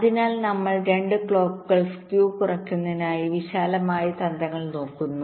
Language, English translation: Malayalam, so first we look at the broad strategies to reduce the clocks skew